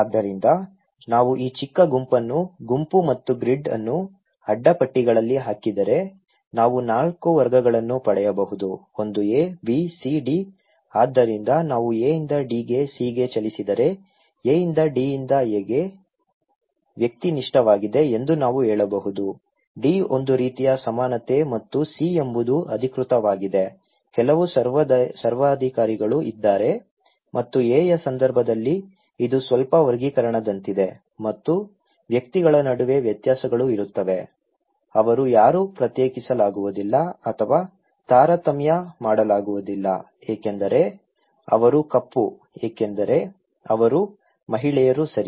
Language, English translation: Kannada, So, if we put this low group and sorry, group and grid into a cross tabulations, we can get 4 categories; one A, B, C, D, so if we move from A to D to C, we can say that from A to D is A is like individualistic, D is kind of egalitarian and C is like authoritative, some dictators are there and in case of A, it is like little classification and distinctions between individuals are there, they can nobody is segregated or discriminated because they are black because they are women, okay